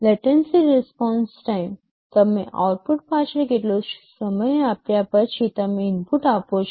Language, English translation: Gujarati, Latency response time: you give an input after how much time you are getting back the output